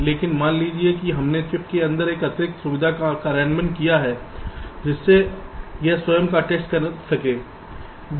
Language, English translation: Hindi, ok, so suppose we have implemented this kind of extra facility inside the chips so that it can test itself, bist